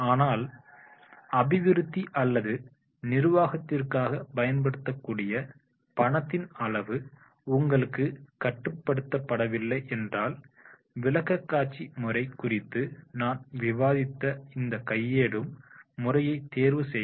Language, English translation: Tamil, But if you are not limited with the amount of money that can be used for the development or administration, choose a hands on method that I have discussed over a presentation method